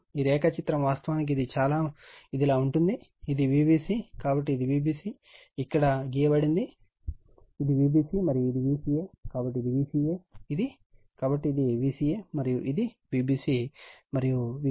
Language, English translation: Telugu, This diagram actually it will be like this, this is my V bc, so this is my V bc this is drawn for here, this is V bc and this is my V ca, so this is my V ca this one, so this is my V ca and this is my V bc and this b